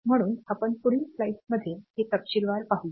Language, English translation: Marathi, So, we will see it in more detail in the successive slides